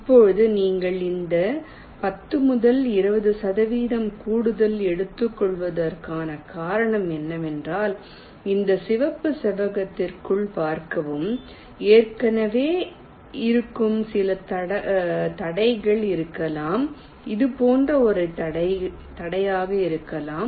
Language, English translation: Tamil, the reason you are taking this ten to twenty percent extra is that, see, within this red rectangle there might be some obstacles already existing, like there may be an obstacle like this, so you may have to find out a path around the obstacle like this